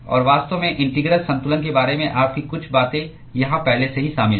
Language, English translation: Hindi, And in fact, some of your things about the integral balance is already incorporated here